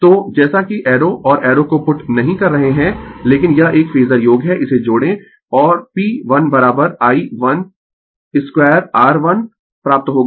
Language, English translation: Hindi, So, as you are not putting arrow and arrow, but it is a phasor sum you add it and P1 is equal to I1 square R1 you will get 237 watt P2 is equal to I square R 2 right R 2 that is your R 2 is 6 R1 is 4